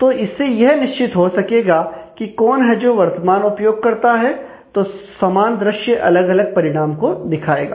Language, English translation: Hindi, So, this will ensure that depending on who is actually the current user, the same view will be evaluated for different results